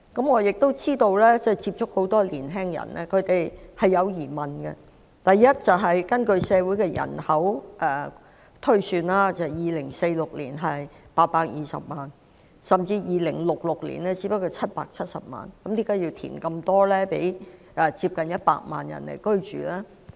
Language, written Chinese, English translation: Cantonese, 我接觸過很多年青人，知道他們心存疑問，首先，根據推算 ，2046 年的人口是820萬人，到了2066年則只有770萬，為何要大幅填海供接近100萬人居住呢？, I have met many young people and come to know that they have doubts about the initiative . First of all according to forecasts our population will be 8.2 million in 2046 but only 7.7 million in 2066 . What is the point of carrying out large - scale reclamation works to provide land for nearly 1 million people to live in?